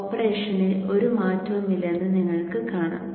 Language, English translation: Malayalam, You see that there is no change in the operation